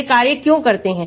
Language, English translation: Hindi, why do they act